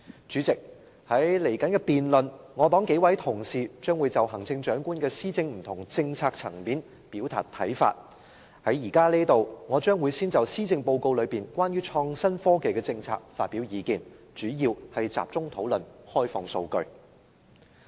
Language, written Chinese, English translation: Cantonese, 主席，在稍後的辯論中，我黨數名同事將會就行政長官施政的不同政策層面表達看法，現在我會先就施政報告有關創新科技的政策發表意見，主要集中討論開放數據。, President some Members of the Civic Party will express their views on various policies announced in the Policy Address in the later debates . I will first express my views on the policies on innovation and technology in the Policy Address focusing on the discussion of open data